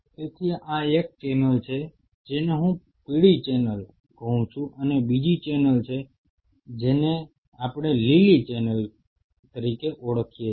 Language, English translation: Gujarati, So, this is one channel which I call this as a yellow channel and there is another channel, which we call this as a green channel